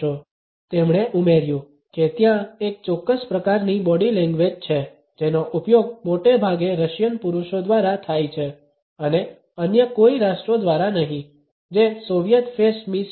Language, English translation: Gujarati, He added there were a one specific type of body language used by Russians mostly men and by no other nations that is a Soviet face miss